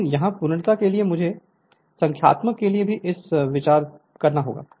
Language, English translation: Hindi, But here for the sake of completeness we have to choose to we have to consider it for numerical also